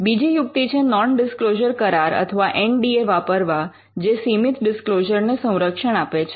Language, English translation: Gujarati, Another strategy is to use nondisclosure agreements NDAs, which can be used to protect limited disclosures